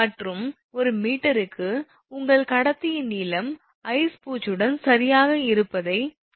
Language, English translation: Tamil, And per meter indicates that your per meter length of the conductor right with ice coating